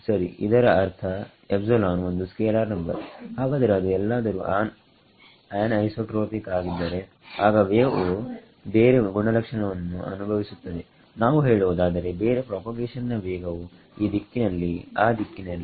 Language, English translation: Kannada, Ok; that means, epsilon is a scalar number ok, but if it is anisotropic then the wave experiences different property let us say different propagation speed in this direction that direction